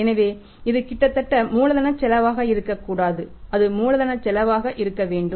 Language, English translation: Tamil, So, it should not be nearly the cost of capital it should be cost of capital